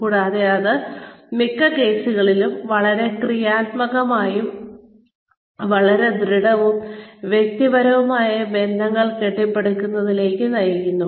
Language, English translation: Malayalam, And, that in most cases, leads to the building of, very constructive, very solid, interpersonal relationships